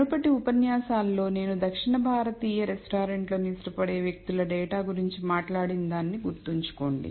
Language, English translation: Telugu, Remember in one of the earlier lectures I talked about data for people who like south Indian restaurants and so on